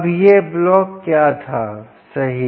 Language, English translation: Hindi, ok, now what was this block